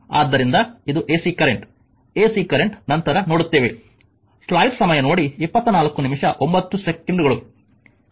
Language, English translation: Kannada, So, this is ac current ac current will see later